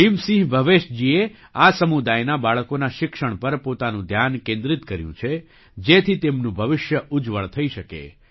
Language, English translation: Gujarati, Bhim Singh Bhavesh ji has focused on the education of the children of this community, so that their future could be bright